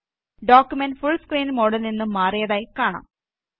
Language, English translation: Malayalam, We see that the document exits the full screen mode